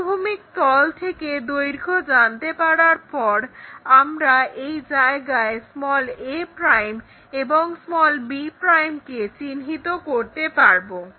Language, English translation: Bengali, Once we know from the horizontal plane this much length, immediately we will locate a' and b' point there